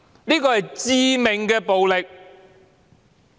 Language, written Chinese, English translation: Cantonese, 這是致命的暴力，主席。, This is deadly violence President